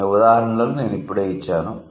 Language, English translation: Telugu, So, as the examples I have just given